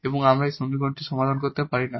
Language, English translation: Bengali, So, the given equation is exact